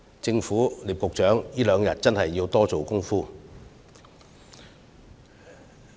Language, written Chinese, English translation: Cantonese, 政府及聶局長在這兩天真的要多下工夫。, The Government and Secretary Patrick NIP must really step up their efforts within the next two days